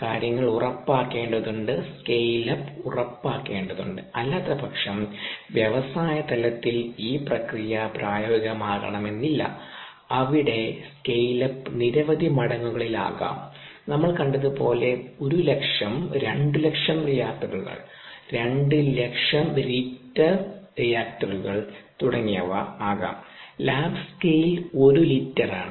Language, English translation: Malayalam, the scale up needs to be ensured, otherwise the process may not be viable at the industry level, where this scale up could be in many orders magnitude industrial reactors is we saw could be one lakh, two lakh reactors, two lakh liter reactors and so on